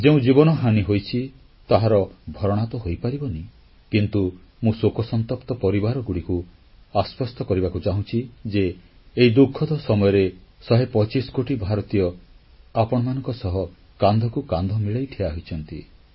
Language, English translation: Odia, Loss of lives cannot be compensated, but I assure the griefstricken families that in this moment of suffering& misery, a hundred & twenty five crore Indians stand by them, shoulder to shoulder